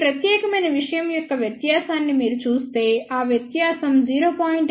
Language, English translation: Telugu, If you see the difference of this particular thing that difference is about 0